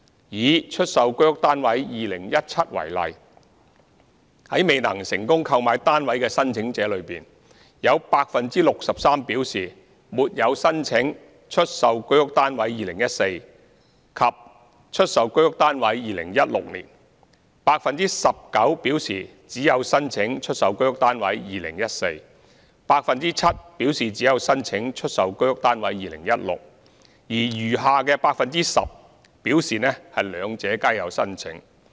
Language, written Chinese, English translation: Cantonese, 以"出售居屋單位 2017" 為例，在未能成功購買單位的申請者中，有 63% 表示沒有申請"出售居屋單位 2014" 和"出售居屋單位 2016"；19% 表示只曾申請"出售居屋單位 2014"；7% 表示只曾申請"出售居屋單位 2016"； 而餘下 10% 則表示兩者皆有申請。, Taking the Sale of HOS Flats 2017 as an example among the unsuccessful applicants 63 % claimed that they had not applied for the Sale of HOS Flats 2014 and the Sale of HOS Flats 2016; 19 % claimed that they had applied for the Sale of HOS Flats 2014 only; 7 % claimed that they had applied for the Sale of HOS Flats 2016 only; while the remaining 10 % claimed that they had applied for both